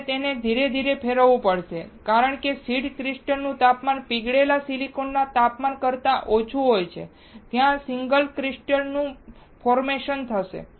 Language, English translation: Gujarati, You have to rotate it slowly, because the temperature of the seed crystal is lower than the temperature of the molten silicon there will be formation of the single crystal